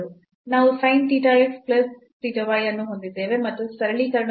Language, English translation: Kannada, So, we have the sin theta x plus theta y and after the simplification